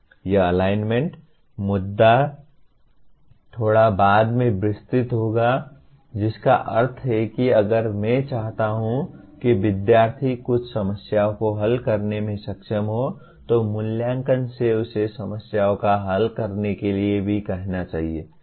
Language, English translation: Hindi, This alignment issue will be elaborating a little later that means if I want the student to be able to solve certain problems assessment should also ask him to solve problems